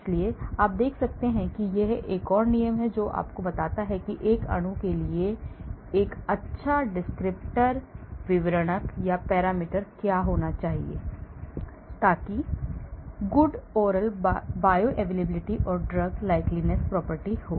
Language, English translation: Hindi, so you see this is another rule which tells you what should be a good descriptor or parameters for a molecule to have good oral bioavailability and drug likeness property